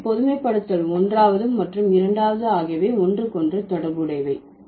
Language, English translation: Tamil, So, generalization one and two, they are related to each other